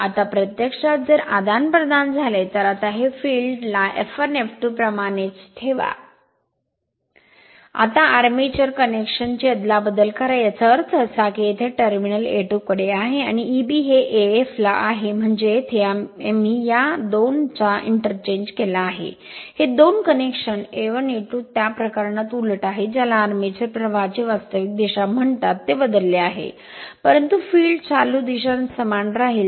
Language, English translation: Marathi, Now, now if you interchange, now the keep the field as it is F 1 F 2, now interchange the armature connection right; that means, plus terminal here I have brought to A 2 and minus 1 I have brought to A 1 I mean here, just we have interchanged these 2, these 2 connection A 1 A 2 reversed in that case your, what you call direction of the armature current is changed, but field current direction remain same